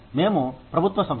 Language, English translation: Telugu, We are a government organization